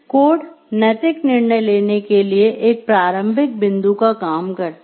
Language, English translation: Hindi, Code serve as a starting point for ethical decision making